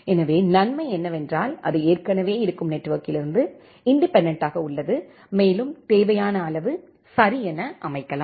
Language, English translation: Tamil, So, the advantage is that it is independent of the existing network and it can be set up as required ok